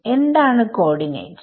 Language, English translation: Malayalam, What are the coordinates